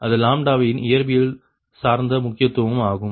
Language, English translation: Tamil, is that physical significance of lambda, also, right